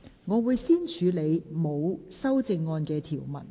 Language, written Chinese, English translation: Cantonese, 我會先處理沒有修正案的條文。, I will first deal with the clauses with no amendment